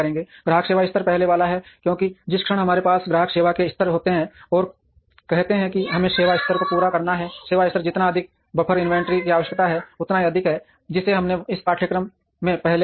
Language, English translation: Hindi, Customer service levels are the first one, because the moment we have customer service levels and say that we have to meet the service level, higher the service level more the buffer inventory that is needed which we have seen earlier in this course